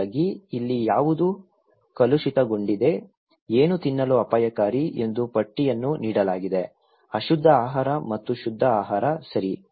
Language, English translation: Kannada, So, here what is polluted, what is dangerous to eat are given the list; unclean food and clean food, okay